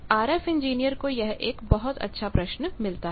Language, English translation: Hindi, This is a very good question RF engineer's get